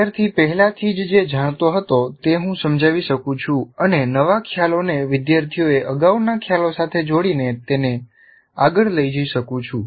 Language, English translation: Gujarati, So, I can relate what the student already knew and take it forward and linking the new concepts to the previous concepts the student has understood